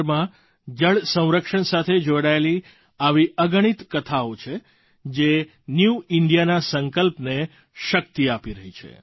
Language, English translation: Gujarati, The country is replete with innumerable such stories, of water conservation, lending more strength to the resolves of New India